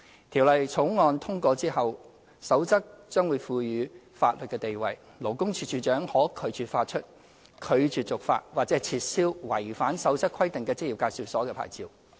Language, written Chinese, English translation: Cantonese, 《條例草案》通過之後，《守則》將獲賦予法律地位，勞工處處長可拒絕發出、拒絕續發或撤銷違反《守則》規定的職業介紹所的牌照。, With the Bills passage the Code will be conferred a legal status enabling the Commissioner for Labour to revoke or refuse to issue or renew a licence of an employment agency which has violated the requirements of the Code